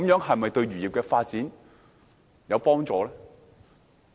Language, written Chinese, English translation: Cantonese, 這樣對漁業發展是否有幫助呢？, Is this conducive to the development of the fisheries industry?